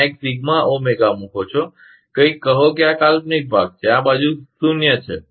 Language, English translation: Gujarati, There is a put sigma Omega, something, say this is imaginary part, this side, this is zero